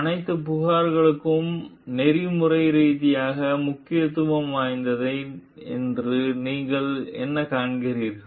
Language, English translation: Tamil, So, what you find like that all the complaints are ethically significant